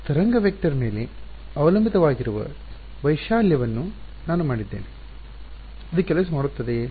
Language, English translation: Kannada, I have made the amplitude to be dependent on the wave vector does this work